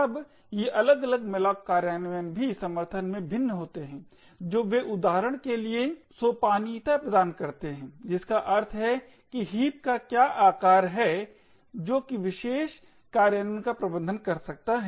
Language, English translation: Hindi, Now these different malloc implementations also vary in the support that they provide for example the scalability which means what is the size of the heap that the particular malloc implementation can manage